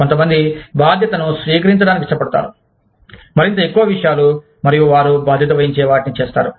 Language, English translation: Telugu, Some people, like to take on the responsibility, of more and more things, and do, what they take on the responsibility for